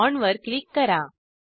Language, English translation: Marathi, Click on the bond